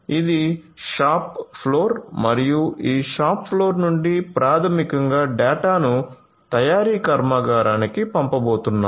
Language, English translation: Telugu, So, this is the shop floor and from this shop floor basically the data are going to be sent to the manufacturing plant